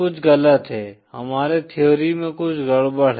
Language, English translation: Hindi, Something is wrong, is something wrong with our theory